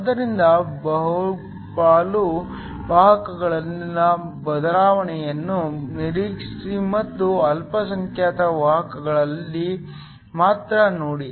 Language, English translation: Kannada, So, the ignore change in the majority carriers and only look in the minority carriers